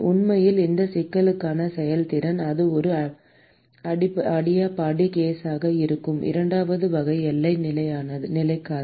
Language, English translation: Tamil, In fact, for this problem the efficiency would be so, for the second type of boundary condition where it is an adiabatic case